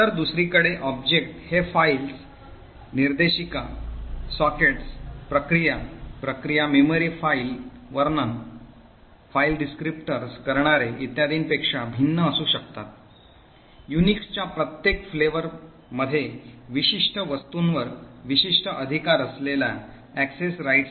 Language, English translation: Marathi, So, object on the other hand can vary from files, directories, sockets, processes, process memory, file descriptors and so on, each flavour of Unix defines a certain set of access rights that the subject has on the particular objects